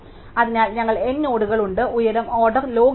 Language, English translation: Malayalam, So, we have n nodes the height is order log n